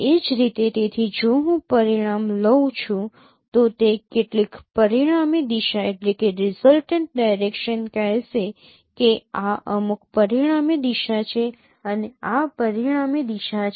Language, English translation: Gujarati, Similarly, so if I take the resultant it would be some resultant direction say this is some resultant direction